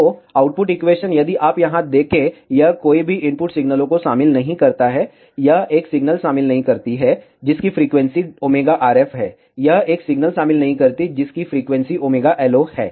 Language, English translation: Hindi, So, the output equation if you see here, it does not contain any of the input signals, it does not contain a signal with frequency omega RF, it does not also contain a signal with frequency omega LO